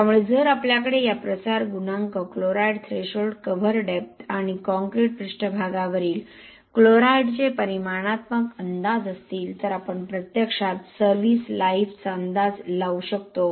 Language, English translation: Marathi, So if we have quantitative estimates of these diffusion coefficient, chloride threshold, cover depth and chloride at the concrete surface, we can actually estimate the service life